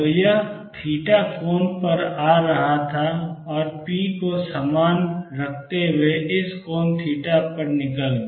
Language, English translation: Hindi, So, it was coming at an angle theta and went out at this angle theta, keeping the p the same